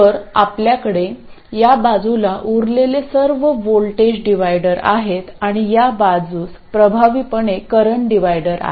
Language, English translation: Marathi, So all we are left with is a voltage divider on this side and effectively a current divider on this side